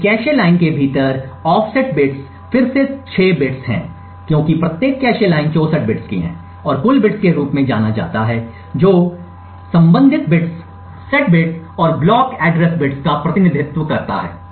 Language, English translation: Hindi, The offset bits within a cache line is again 6 bits because each cache line is of 64 bits and something known as total bits which represents the associated bits, set bits and block address bits